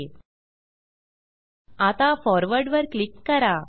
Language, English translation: Marathi, Now click on Forward